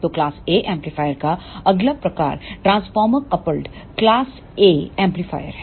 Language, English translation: Hindi, So, the next type of class A amplifier is transformer coupled class A amplifier